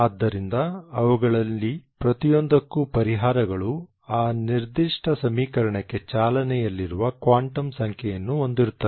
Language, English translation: Kannada, Therefore the solutions for each one of them will have a running quantum number for that particular equation